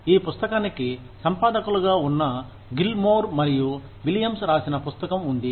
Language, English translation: Telugu, There is a book, by Gilmore and Williams, who are the editors of this book